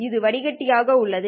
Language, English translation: Tamil, This has been the filtered